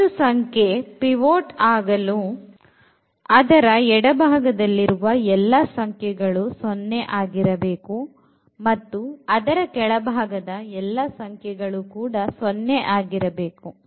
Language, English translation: Kannada, So, for the pivot it has to be 0 to the left and also to the bottom and everything to the left has to be 0